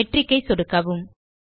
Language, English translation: Tamil, Left click Metric